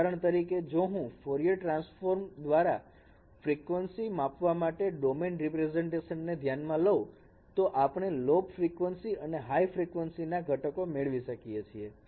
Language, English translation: Gujarati, And for example, if I consider the frequency domain representations using Fourier transforms, we get low frequency and high frequency components